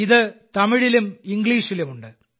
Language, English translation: Malayalam, This is in both Tamil and English languages